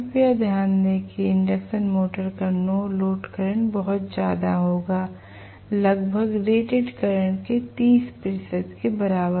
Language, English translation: Hindi, Please note the no load current of induction motor will be still as high as 30 percent of its rated current